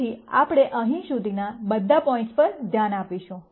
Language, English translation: Gujarati, So, we will look at all the points up to here